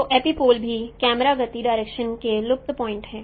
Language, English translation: Hindi, So epipoles are also vanishing point of camera motion direction